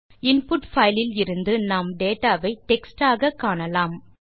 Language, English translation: Tamil, From the input file, we can see that the data we have is in the form of text